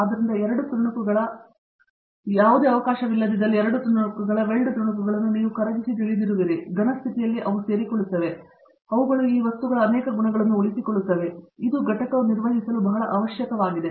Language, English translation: Kannada, So, where there is no chance of the 2 pieces, weld pieces being you know melted at all and as the result in the solid state they join and they retain a number of properties of these materials, which is very essential for the component to perform in the applications